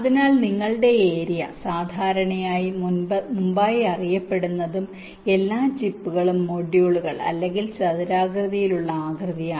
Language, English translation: Malayalam, so your area is typically fixed, known before hand, ok, and all the chips, the modules, or a rectangular shape